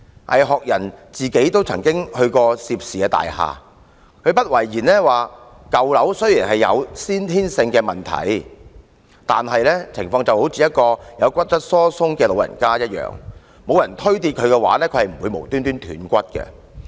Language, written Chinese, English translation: Cantonese, 倪學仁自己也曾到涉事大廈，他不諱言舊樓雖然有先天性的問題，但情況就如一名患有骨質疏鬆的長者，若無人把他推倒，他是不會無故斷骨的。, NGAI Hok - yan has also visited the affected buildings . While acknowledging that problems already existed in old buildings he remarked that just as in the case of an elderly person suffering from osteoporosis he would not break his bones for no reason if nobody pushed him down